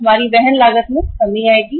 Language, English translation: Hindi, Our carrying cost will come down